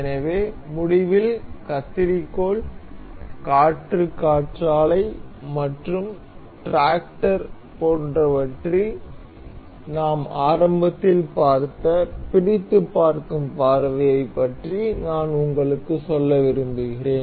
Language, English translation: Tamil, So, in the end, I would like to also tell you about explode view that we initially saw in the case of scissors, the wind the windmill and the tractor